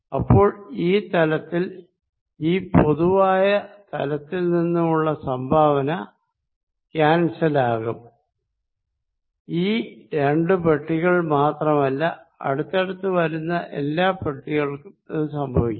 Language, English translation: Malayalam, So, the contribution on the surface from this common surface will cancels, not only this two boxes any two adjacent box will happen